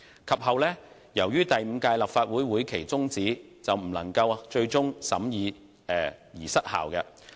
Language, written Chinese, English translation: Cantonese, 及後，由於第五屆立法會會期終止，有關條例草案最終因未獲審議而失效。, The bill finally lapsed as it was not scrutinized by the Council before the prorogation of the Fifth Legislative Council